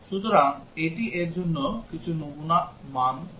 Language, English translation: Bengali, So, this just gives some sample values for this